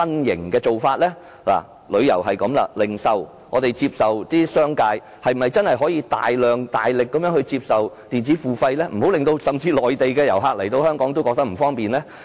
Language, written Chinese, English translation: Cantonese, 談過旅遊，在零售方面，商界又是否真的可以由衷地接受電子付費，以免訪港的內地遊客感到不便呢？, I have spoken on tourism . As regards the retail industry can the commercial sector accept electronic payment with genuine sincerity so as to save Mainland visitors to Hong Kong the inconvenience?